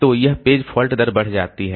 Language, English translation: Hindi, So, this page fault rate increases